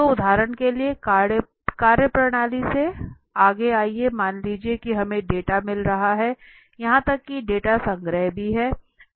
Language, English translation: Hindi, So from the methodology for example, next let us say we are getting the data even the data collection